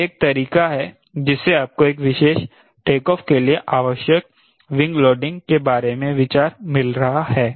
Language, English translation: Hindi, this is one way you are getting an idea of wing loading required for a particular prescribed take off